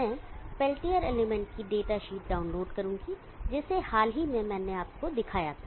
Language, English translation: Hindi, I will download the datasheet of the peltier element that I showed you recently